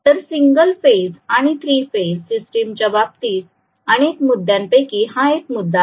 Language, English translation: Marathi, So this is one of the first points as for as the single phase and the 3 phase systems are concerned